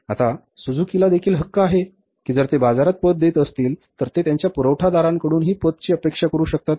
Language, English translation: Marathi, Now, Suzuki has also the right that if they are giving the credit in the market, they can also expect the credit from their suppliers